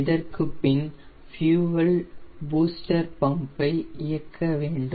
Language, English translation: Tamil, this is the fuel booster pump